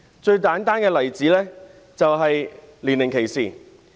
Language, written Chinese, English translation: Cantonese, 最簡單的例子是年齡歧視。, One simple example is age discrimination